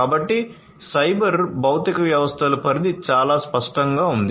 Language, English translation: Telugu, But cyber physical systems is something that the scope is very clear